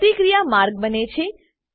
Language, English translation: Gujarati, Reaction path is created